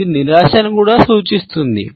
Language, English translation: Telugu, It can also indicate frustration